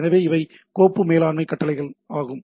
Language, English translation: Tamil, So, these are some of the commands which are file management command